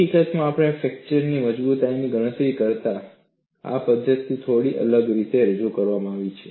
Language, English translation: Gujarati, In fact, this is cast in a slightly different fashion than the way we have a calculated the fracture strength